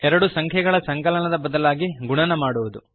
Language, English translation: Kannada, Multiplying two numbers instead of adding